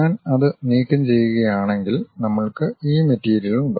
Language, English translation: Malayalam, If I remove that, we have this material, material is there